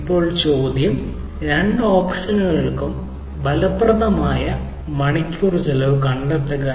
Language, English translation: Malayalam, an question b: find the cost per effective hour for the both the option